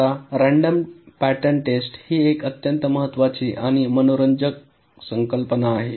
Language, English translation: Marathi, ok, random pattern testing is a very, very important and interesting concept